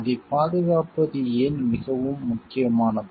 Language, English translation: Tamil, And why it is so important to protect it